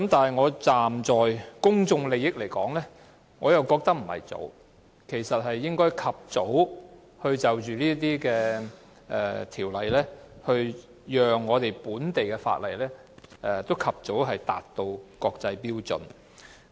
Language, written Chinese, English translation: Cantonese, 不過，站在公眾利益的角度來說，我認為這樣做並不早，這項條例草案應及早處理，讓本地法例及早達到國際標準。, However from the perspective of public interest I consider it not at all early to do so . The Bill should be dealt with expeditiously so as to bring the local legislation on par with international standards as soon as practicable